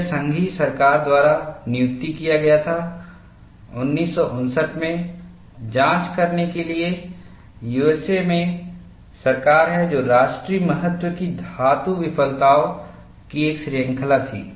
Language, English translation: Hindi, It was commissioned by the federal government, that is the government in USA, in 1959, to investigate a series of metal failures of national significance